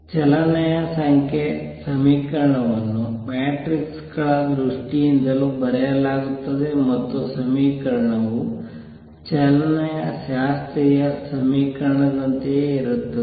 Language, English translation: Kannada, Number 2 equation of motion is also written in terms of matrices and the equation is the same as classical equation of motion